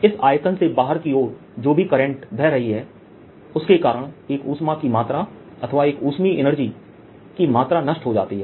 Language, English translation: Hindi, whatever current is flowing out, because of that, the quantity of heat, a quantity of heat energy inside, is lost